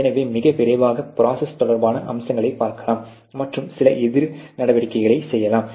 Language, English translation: Tamil, So, very quickly you can actually see what are the aspects related to the process and do some counter measures